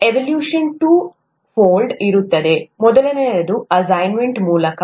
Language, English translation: Kannada, The evaluation would be two fold, the first one is through assignments